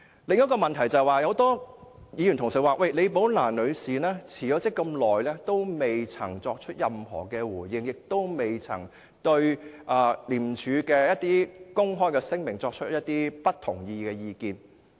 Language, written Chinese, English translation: Cantonese, 另一個問題是，多位議員指李寶蘭女士在辭職後這麼長的時間亦不曾作出任何回應，也不曾對廉署的公開聲明發表不同意的意見。, Another thing is that as pointed out by many Members Ms Rebecca LI has not given any reply since her resignation quite some time ago; nor has she expressed any dissenting views on the public statements issued by ICAC